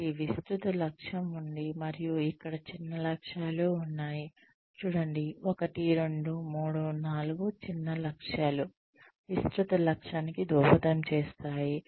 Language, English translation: Telugu, So there is a broad objective and, there are smaller targets here, see, 1, 2, 3, 4, smaller objectives, that contribute to the broader goal